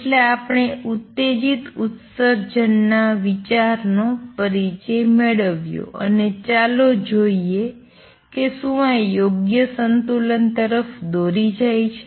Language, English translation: Gujarati, So, we have introduced the idea of stimulated emission and let us see if this leads to proper equilibrium